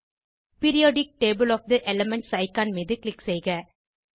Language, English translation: Tamil, Click on Periodic table of the elements icon